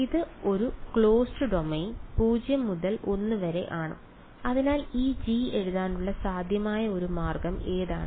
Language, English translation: Malayalam, It is over a closed domain 0 to l right, so what would you what is one possible way of writing this G